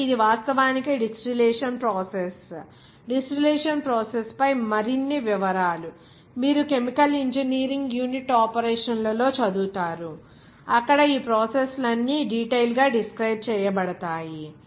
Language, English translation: Telugu, So, this is actually the distillation process; more details on the distillation process ofcourse, you will read in chemical engineering unit operations, where all those processes are described in details